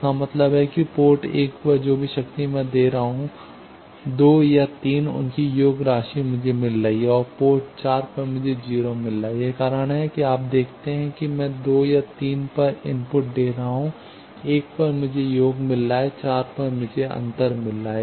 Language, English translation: Hindi, That means, at port 1 whatever power I am giving at 2 and 3 their sum I am getting and at port 4 I am getting 0; that is why you see that I am giving input at 2 and 3, at 1 I am getting sum, at 4 I am getting difference